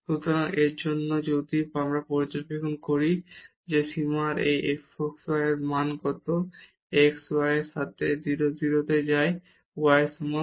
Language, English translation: Bengali, So, for that if we observe that what is the value of this f xy of this limit when x y goes to 0 0 along x is equal to y